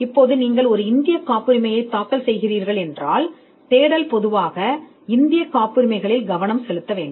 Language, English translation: Tamil, Now, if you are filing an Indian patent, then you would normally want the search to cover the Indian patents